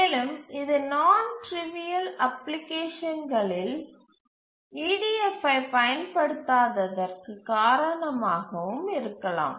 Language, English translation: Tamil, This may be the reason that why non trivial applications don't use EDF